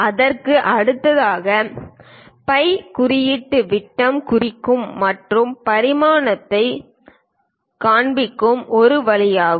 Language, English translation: Tamil, And next to it, we show the phi symbol diameter represents and the dimensioning that is one way of showing the things